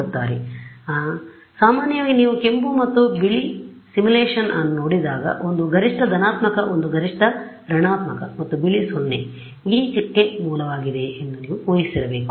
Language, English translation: Kannada, So, typically when you see a simulation of red and white then you should have assumed that one is maximum positive, one is maximum negative and white is 0 this dot that is the source